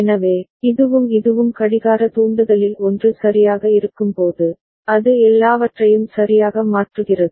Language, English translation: Tamil, So, this and this when both of them are 1 right at the clock trigger, it changes all right